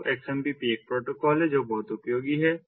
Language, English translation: Hindi, so xmpp is a protocol that is when ah useful